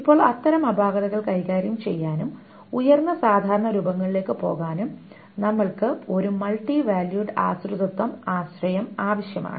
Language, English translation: Malayalam, Now to handle such anomalies and to go to higher normal forms will require the concept of what is called a multivalute dependency